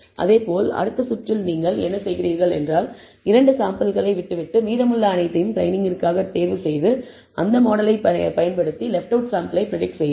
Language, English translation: Tamil, And similarly, in the next round what you do is, leave out the second sample and choose all the remaining for training and then use that model for predicting on the sample that is left out